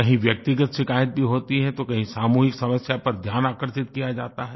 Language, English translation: Hindi, There are personal grievances and complaints and sometimes attention is drawn to community problems